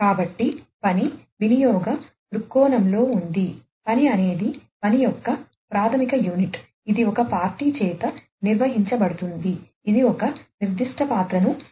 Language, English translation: Telugu, So, the task is in the context of usage viewpoint, the task is a basic unit of work, that is carried out by a party, that assumes a specific role